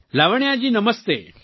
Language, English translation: Gujarati, Lavanya ji, Namastey